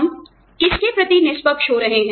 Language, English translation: Hindi, Who are we, being fair to